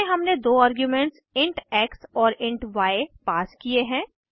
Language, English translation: Hindi, In these we have passed two arguments int x and int y